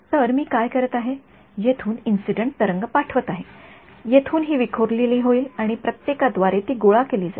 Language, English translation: Marathi, So, what I do is, I send an incident wave from here this will get scattered and collected by everyone all of these guys right